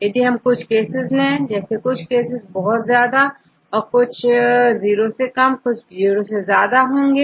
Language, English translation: Hindi, So, if we take some cases, it is very high, then will be less than 0, and some cases they are above 0